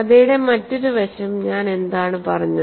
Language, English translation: Malayalam, The other aspect of the story what I said